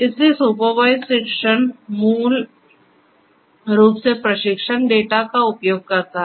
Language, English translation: Hindi, So, supervised learning basically uses training data